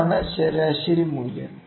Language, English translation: Malayalam, So, this is the mean value